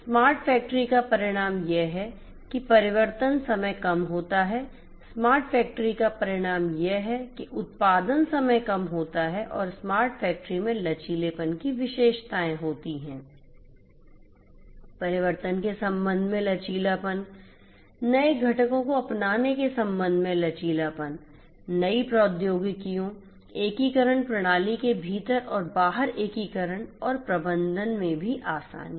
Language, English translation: Hindi, Smart factory results in reduced change over time, smart factory results in reduced production time and also smart factory has the features of flexibility, flexibility with respect to change over, flexibility with respect to adoption of newer components, newer technologies, integration, integration within and beyond the system and also ease of management